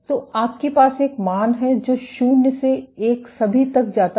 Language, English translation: Hindi, So, you have a value which goes from 0 all the way to 1